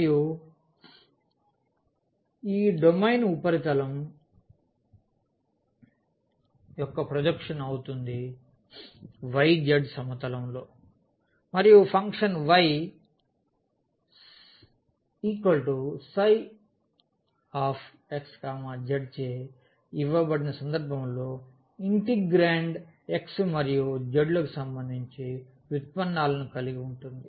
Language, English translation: Telugu, And, this domain will be the projection of the surface in the y z plane and in the case when the function is given by y is equal to psi x z; the integrand will have the derivatives with respect to x and z